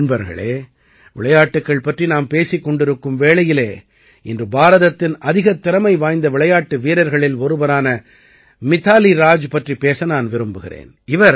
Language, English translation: Tamil, Friends, when it comes to sports, today I would also like to discuss Mithali Raj, one of the most talented cricketers in India